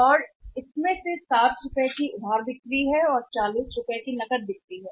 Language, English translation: Hindi, And out of that 60 rupees is the credit sales and the forty rupees is the cash